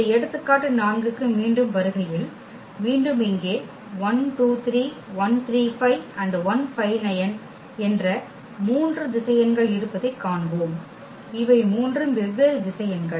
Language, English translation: Tamil, Coming back to this example 4, we will see that again we have three vectors here 1 2 3, 1 3 5, and 1 5 9 these are three different vectors